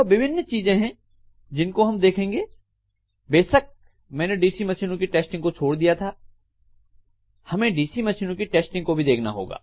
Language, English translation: Hindi, These are the different things we will be looking at, of course I have left out testing of DC machine we should actually look at the testing of DC machines as well